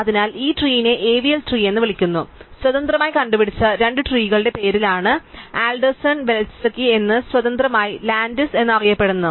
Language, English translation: Malayalam, So, these trees are called AVL trees the named after the two people who independently invented them one person called Adelson Velsky and independently Landis